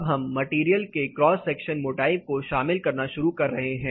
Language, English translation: Hindi, Now we are starting to include the cross sectional thickness of the particular material